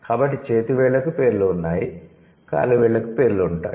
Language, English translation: Telugu, So, fingers have names, toes have names, okay